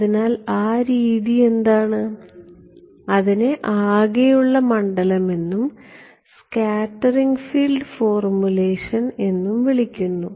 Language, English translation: Malayalam, So, what is that form what is that trick is what is called the total field and scattered field formulation right